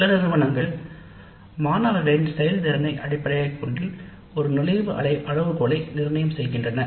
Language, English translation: Tamil, Some institutes even put an entry criteria based on the performance of the students